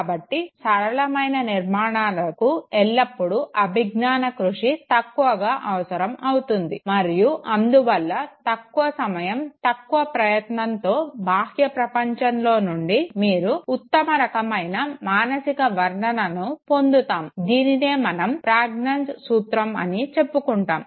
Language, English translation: Telugu, So, simplest organizations would always require a minimal cognitive effort and therefore minimum time, minimum effort, best type of mental representation that you derive from the external environment, this is what would be considered as the principle of pregnancy